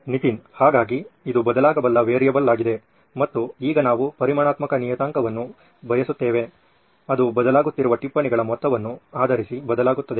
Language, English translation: Kannada, So this is the variable that can change, right, and now we want a quantifiable parameter that will change based on the amount of notes that is being changed